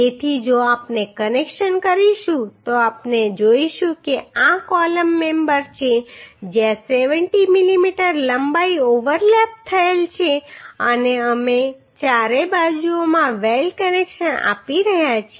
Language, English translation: Gujarati, So if we do the connection we will see say this is the column member where 70 mm length is overlapped and we are providing weld connection in in all four sides right weld connections in all four sides